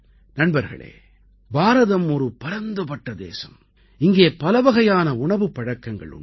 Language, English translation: Tamil, Friends, India is a vast country with a lot of diversity in food and drink